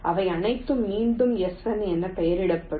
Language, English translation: Tamil, they will all be labeled again as s one